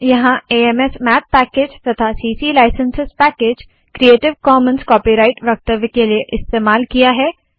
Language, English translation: Hindi, And using AMSmath package and also using the ccliscences package for creative commons copyright statement as here